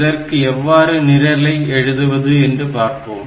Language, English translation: Tamil, So, how to write this program, so let us see